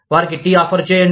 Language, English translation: Telugu, Offer them, tea